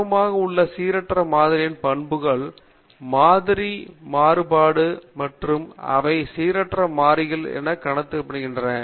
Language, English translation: Tamil, The properties of the random samples we are interested in are the sample mean, sample variance and they are also treated as random variables